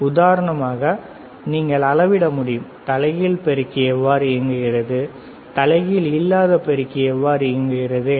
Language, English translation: Tamil, You can do measure for example, the inverting amplifier how inverting amplifier operates, right